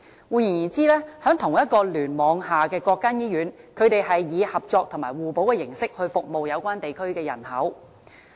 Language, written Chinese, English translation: Cantonese, "換言之，在同一個聯網下的各間醫院是以合作和互補的形式去服務有關地區的人口。, In other words hospitals of the same cluster serve the population in the relevant geographical setting by cooperating with and complementing each other